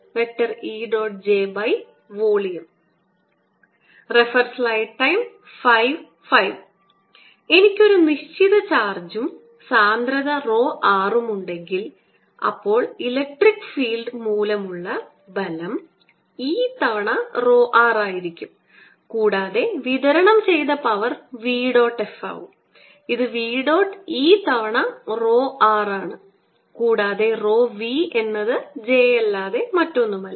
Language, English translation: Malayalam, if i have certain charge and density is rho r, then the force on this due to the electric field is going to be e times rho r and the power delivered is going to be v dot f, which is v dot e times rho r and rho v is nothing but j